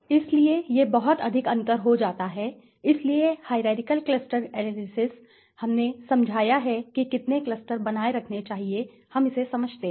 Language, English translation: Hindi, So, that becomes too much differences right, so hierarchical cluster analysis we have explained right so how many cluster should be retained we understand this